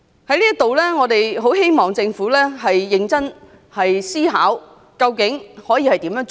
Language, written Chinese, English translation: Cantonese, 在這裏，我們很希望政府認真思考究竟怎樣做。, Here we very much hope that the Government can seriously consider what to do